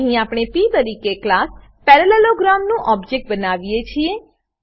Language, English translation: Gujarati, Here we create an objectof class parallelogram as p